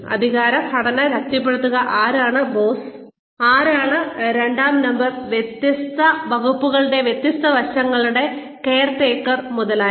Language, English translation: Malayalam, Reinforce authority structure, who is boss, who is number two, who is the caretaker of different aspects of different departments, etcetera